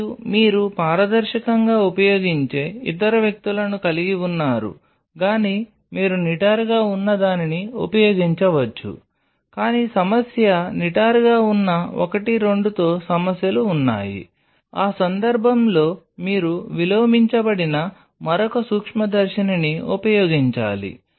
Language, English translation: Telugu, And you have the other people who will be using on a transparent either you can use the upright one, but the problem there are issues with upright one 2, then in that case you have to another microscope which is inverted